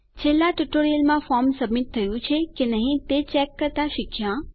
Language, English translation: Gujarati, In the last one, we learnt how to check if our forms were submitted